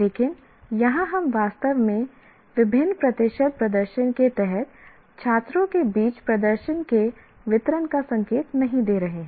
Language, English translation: Hindi, But here we are not really indicating the distribution of performance among the students under different what you call percentage performances